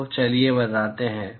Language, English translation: Hindi, So, let us say